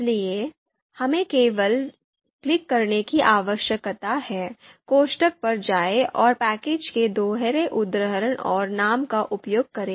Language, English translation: Hindi, So we just need to click here and go to the parenthesis and use double quotes and name of the package